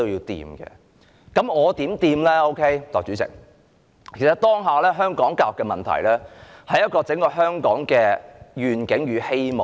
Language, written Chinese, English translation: Cantonese, 代理主席，其實香港當下的教育問題，關乎香港整體願景與希望。, Deputy President the current education problem in Hong Kong concerns the prospects and hope of Hong Kong as a whole